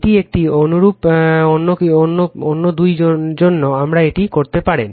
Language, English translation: Bengali, This is for one similar other two we can do it right